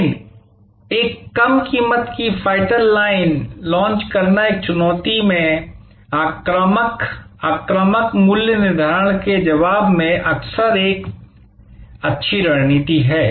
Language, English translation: Hindi, But, this launching a low price fighter line is often a good strategy in response to an aggressive predatory pricing from a challenger